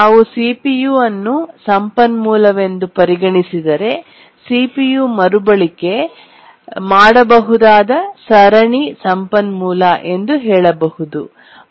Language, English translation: Kannada, If we consider CPU as a resource, we can say that CPU is a serially reusable resource